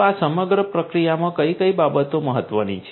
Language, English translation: Gujarati, So, in this entire process what are the things that are important